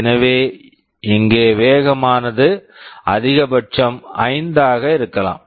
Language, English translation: Tamil, So, here the speedup can be maximum 5